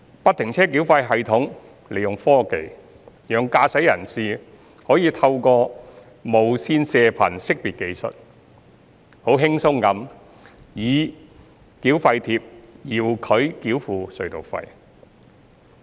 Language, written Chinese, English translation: Cantonese, 不停車繳費系統利用科技，讓駕駛人士可以透過無線射頻識別技術，輕鬆地以繳費貼遙距繳付隧道費。, FFTS makes use of technology to enable motorists to pay tunnel tolls remotely through the Radio Frequency Identification technology with ease